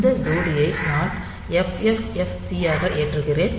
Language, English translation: Tamil, So, this pair I am loading as FF FC